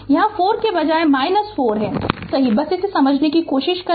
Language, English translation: Hindi, Instead of plus 4 here it is minus 4 right just just try to understand this